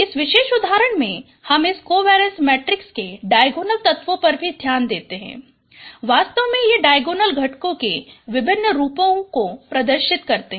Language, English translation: Hindi, In this particular example, you also note the diagonal elements of this covariance matrix actually diagonals they represent variances of components say first component variance is 1